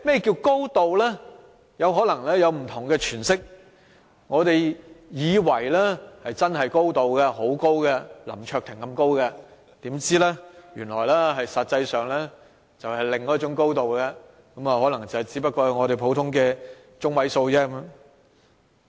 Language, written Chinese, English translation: Cantonese, "高度"可能會有不同的詮釋，我們以為真的很高，像林卓廷議員般高，豈料實際上原來是另一種"高度"，只達到普通的中位數。, It is possible that there are different interpretations of a high degree . We may think that a high degree should be very high comparable to the height of Mr LAM Cheuk - ting but in reality there may be another height which is median high